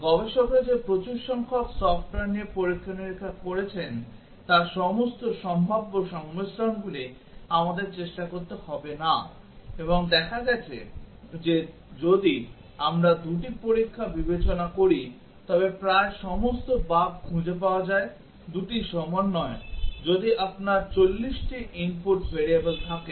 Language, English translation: Bengali, All possible combinations we do not have to try out that researchers have experimented with large number of software and found that almost all bugs are found out if we consider 2 test, 2 combinations, if you have 40 input variables